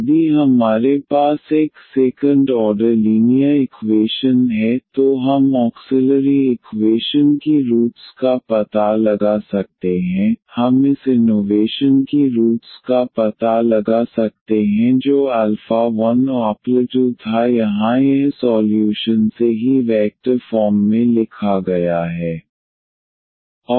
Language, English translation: Hindi, If we have a second order linear equation here, we can find out the roots of the auxiliary equation we can find the roots of this equation which was alpha 1 and alpha 2 here it is written already in the vector form